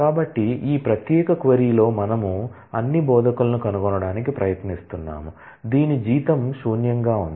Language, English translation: Telugu, So, in this particular query we are trying to find all instructors, whose salary is null that is not known